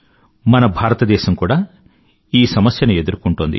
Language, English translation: Telugu, Our country is also facing this problem